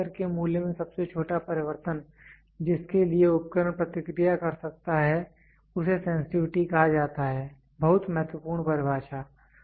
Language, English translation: Hindi, The smallest change in the value of the measured variable to which the instrument can respond is called as sensitivity, very important definition